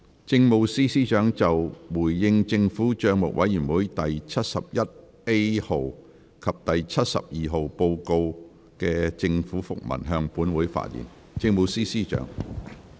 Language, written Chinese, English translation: Cantonese, 政務司司長就"回應政府帳目委員會第七十一 A 號及第七十二號報告書的政府覆文"向本會發言。, The Chief Secretary for Administration will address the Council on The Government Minute in response to the Report of the Public Accounts Committee No . 71A and No . 72